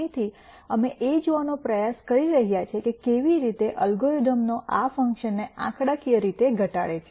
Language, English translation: Gujarati, So, we are trying to look at how an algorithm would minimize this function in a numerical fashion